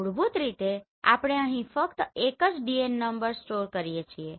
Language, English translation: Gujarati, Basically we store only one DN number here